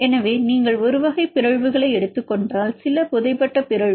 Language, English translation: Tamil, So, now if you take a type of mutations for example, some burried mutation